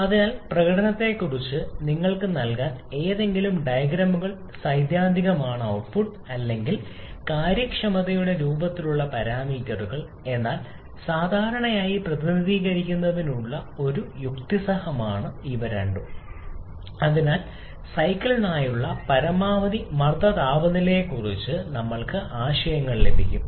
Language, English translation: Malayalam, So, any of the diagrams theoretical is sufficient to provide you on the performance parameters in the form of work output or efficiency but generally is a logical to represent both so that we also get ideas about the maximum pressure temperature etc for the cycle